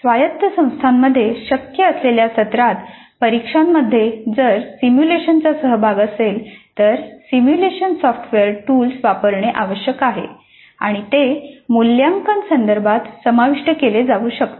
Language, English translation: Marathi, If simulations are involved in the semester and examination which is possible in autonomous institutions, simulation software tools need to be used and they can be incorporated into the assessment context